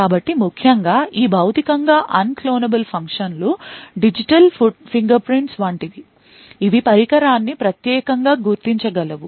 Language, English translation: Telugu, So, essentially this Physically Unclonable Functions are something like digital fingerprints which can uniquely identify a device